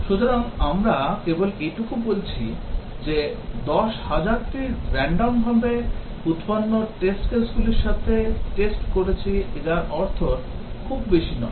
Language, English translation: Bengali, So, just saying that we tested with 10,000 randomly generated test cases may not mean much